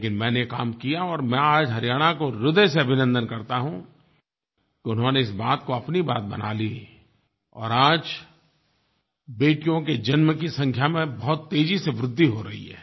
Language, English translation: Hindi, But I persisted and today I greet Haryana from the bottom of my heart for accepting this proposal and now the birth of girls is growing at a very rapid pace there